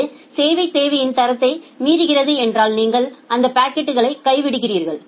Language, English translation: Tamil, If it is violating the quality of service requirement then you simply drop those packets